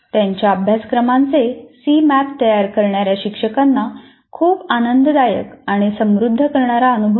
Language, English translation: Marathi, Faculty creating C maps of their courses found it very enjoyable and enriching activity